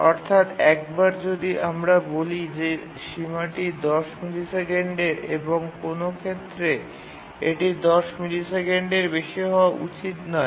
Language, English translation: Bengali, That is, once we say that the bound is, let's say, 10 milliseconds, in no case it should exceed 10 milliseconds